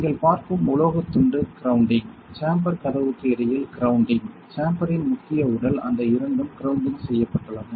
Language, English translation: Tamil, And this metal piece that you are seeing is grounding; this is grounding between the this is the door of the chamber, this is the chamber's main body those two are grounded